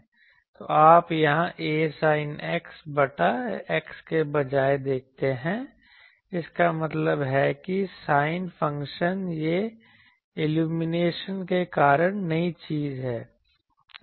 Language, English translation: Hindi, So, you see only here instead of a sin X by X that means, sine function this is the new thing due to the illumination